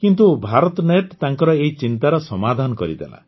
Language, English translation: Odia, But, BharatNet resolved her concern